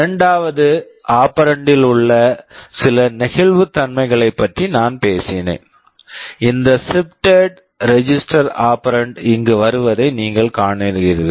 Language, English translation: Tamil, I talked about some flexibility in the second operand, you see here this shifted register operand comes in